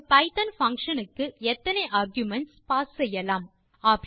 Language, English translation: Tamil, How many arguments can be passed to a python function